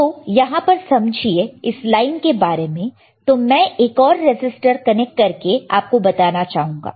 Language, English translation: Hindi, So now, again understand, this line that is let me show it to you with another resistor